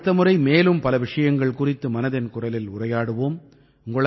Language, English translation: Tamil, Next time, we will discuss some more topics in 'Mann Ki Baat'